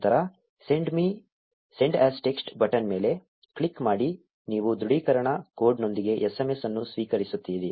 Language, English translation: Kannada, Then click on the ‘Send as Text’ button, you will receive a SMS with a confirmation code